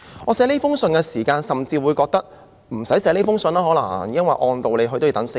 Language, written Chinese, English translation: Cantonese, 我撰寫這封信的時候，甚至覺得可能無須這樣做，因為按道理是須等候4天的。, While I was writing this letter I even had the thought that there was perhaps no need to do so because normally it was necessary to wait for four days